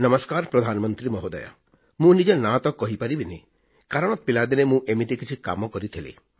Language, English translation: Odia, "Namaskar, Pradhan Mantriji, I cannot divulge my name because of something that I did in my childhood